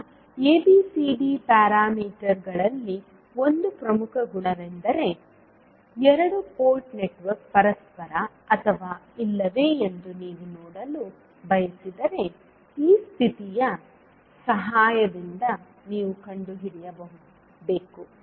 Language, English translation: Kannada, Now, one of the important properties in case of ABCD parameters is that if you want to see whether the particular two port network is reciprocal or not, you need to find out with the help of this condition